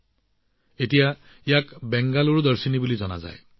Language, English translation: Assamese, Now people know it by the name of Bengaluru Darshini